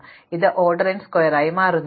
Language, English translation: Malayalam, So, this becomes order n square